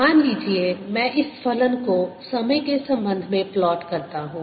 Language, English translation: Hindi, suppose i plot this function with respect to time, at x is equal to zero